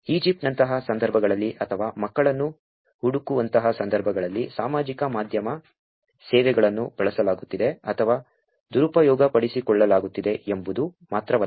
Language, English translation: Kannada, It is not only that social media services are being used or misused in situations like the Egypt or situations like finding kids